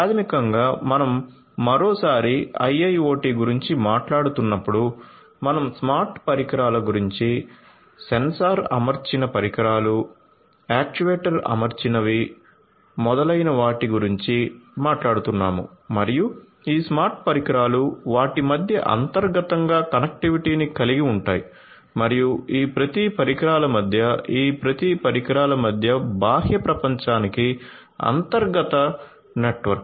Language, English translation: Telugu, So, basically when we are talking about IIoT once again we are talking about smart devices, devices which are sensor equipped, actuator equipped and so on and these smart devices have connectivity between them internally and also between each of these internal each of these devices in that internal network to the external world